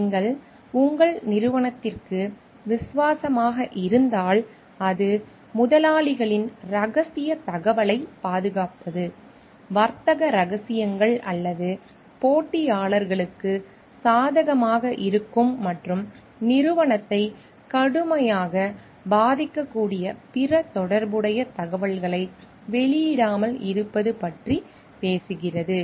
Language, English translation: Tamil, If you are talking of loyalty to your organization, then it talks of safeguarding the confidential information of the employers, not disclosing the trade secrets or other relevant information which may be of advantage to the competitors and may affect the company severely